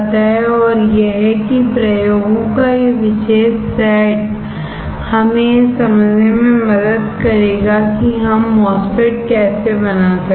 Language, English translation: Hindi, And that will, that particular set of experiments will help us to understand how we can fabricate a MOSFET